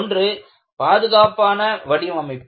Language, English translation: Tamil, One is a Safe life design